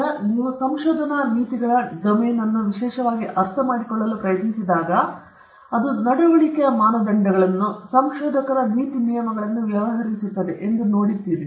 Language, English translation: Kannada, Now, again, when you try to specially understand the domain of research ethics, we can see that it deals with norms of conduct, norms of conduct for researchers